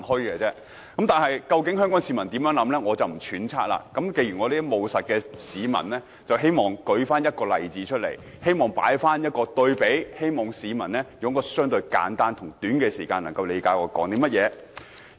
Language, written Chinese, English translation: Cantonese, 我不揣測究竟香港市民有甚麼想法，而我這種務實的人希望舉個例子來作簡單對比，讓市民在相對短暫時間內理解我在說甚麼。, I will refrain from speculating on the views of Hong Kong people and I being a pragmatic person will give an example to make a simple comparison so that they will get my message in a relatively short period of time